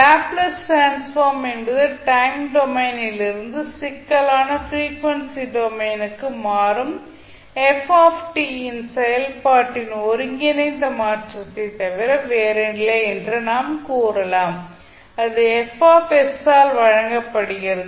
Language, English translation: Tamil, We can say that Laplace transform is nothing but an integral transformation of of a function ft from the time domain into the complex frequency domain and it is given by fs